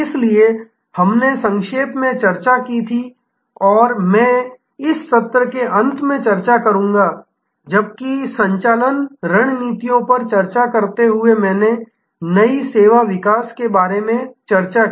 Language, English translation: Hindi, So, therefore, we had briefly discussed and I will discuss at the end of this session, while discussing the operating strategies, I did discuss about new service development